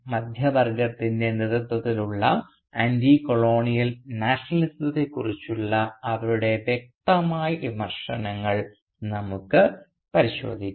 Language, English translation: Malayalam, And we will look into their distinct criticisms of the Middle Class led Anticolonial Nationalism